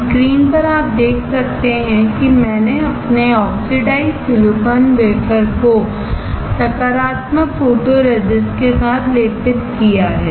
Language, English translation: Hindi, On the screen you can see, I have coated my oxidised silicone wafer with a positive photoresist